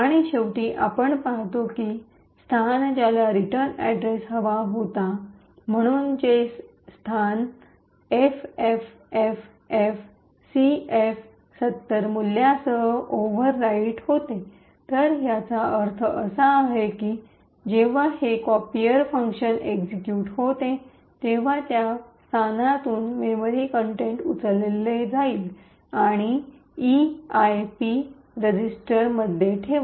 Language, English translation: Marathi, And, finally we see that this location which was supposed to have the return address, so this location is overwritten with the value FFFFCF70, so what this means is that when this copier function completes its execution it is going to pick the memory contents from this location and put this into the EIP register